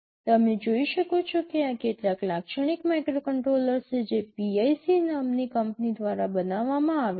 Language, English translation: Gujarati, You can see these are some typical microcontrollers that are manufactured by a company called PIC